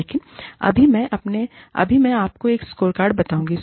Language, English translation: Hindi, But, right now, i will tell you, a scorecard